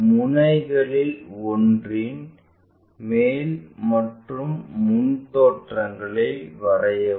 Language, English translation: Tamil, Draw the top and front views of one of the ends